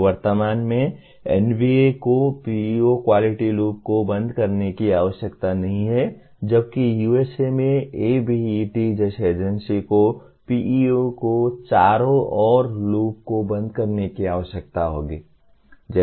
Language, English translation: Hindi, So at present NBA does not require closure of the PEO quality loop while an agency like ABET in USA will also require the closure of the loop around PEOs